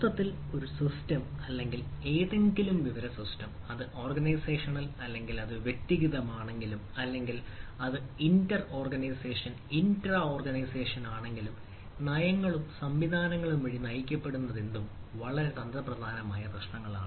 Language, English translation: Malayalam, whenever a a, a, whenever a it systems or any information system, whether it is organizational or it is personal, or it is inter organization, intra organization, whatever there are guided by policies and mechanisms